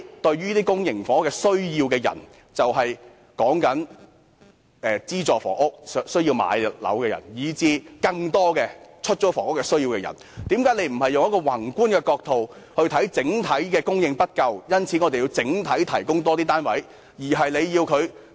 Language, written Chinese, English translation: Cantonese, 對於公營房屋有需求的市民，即有需要購買資助房屋的人，以及更多對出租房屋有需求的人，為何政府不從宏觀角度考慮整體供應不足，因此有需要整體地提供更多單位呢？, Speaking of those people in need of public housing meaning those who need to buy subsidized housing units and also those in need of rental housing who are in an even greater number why should the Government refuse to give macroscopic consideration to the overall supply shortage and therefore recognize the need for providing more units generally?